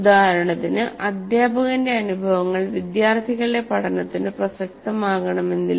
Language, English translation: Malayalam, For example, teachers' experiences may not be relevant to students because he is a different human being